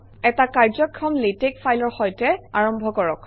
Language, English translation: Assamese, Start with a working latex file